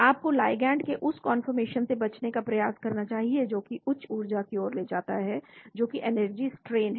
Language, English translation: Hindi, you should try to avoid conformation of the ligand which will lead to higher energies which is energy strain